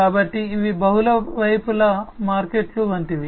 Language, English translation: Telugu, So, these are like multi sided markets